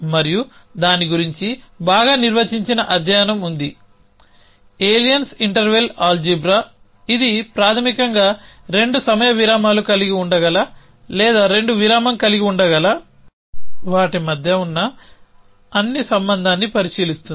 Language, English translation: Telugu, And there is a well define study about it Aliens interval algebra which basically looks at all the relation between which 2 time intervals can have or 2 interval can have their does not want to be time